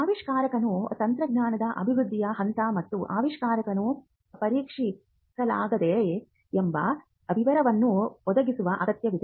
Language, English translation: Kannada, Their inventors are required to provide details such as, stage of development of the technology and invention and whether or not a prototype has been tested